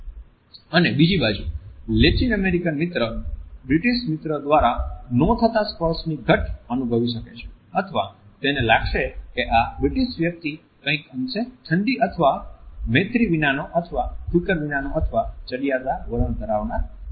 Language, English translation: Gujarati, Similarly the Latin American friend may feel the absence of touch by the British as somewhat cold or unfriendly or unconcerned or an example of a smug attitude